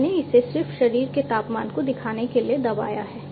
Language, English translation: Hindi, So, I have you know I just pressed it to show the body temperature